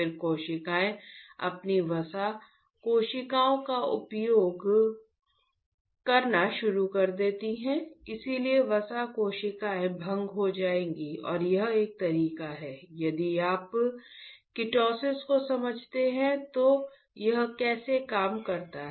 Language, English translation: Hindi, Then the cells start consuming their fat cells so, fat cells would be dissolved and that is a way if you understand ketosis how it works